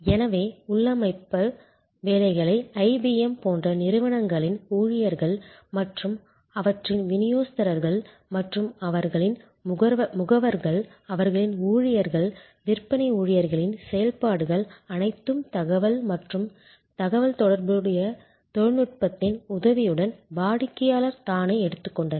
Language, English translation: Tamil, And so the configuration work was done by employees of the companies like IBM and their distributors and their agents, all those functions of their employees, sales employees by taking over by the customer himself or herself with the help of information and communication technology